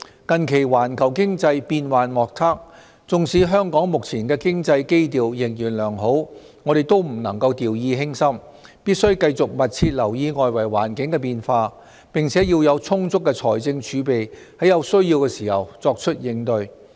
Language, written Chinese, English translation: Cantonese, 近期環球經濟變幻莫測，縱使香港目前的經濟基調仍然良好，我們也不能掉以輕心，必須繼續密切留意外圍環境的變化，並且要有充足的財政儲備，在有需要時作出應對。, Recently the global economy is full of uncertainties . Despite Hong Kongs presently strong economic fundamentals we cannot lower our guard . We must continue to pay close attention to changes in the external environment and keep adequate fiscal reserves for taking countermeasures where necessary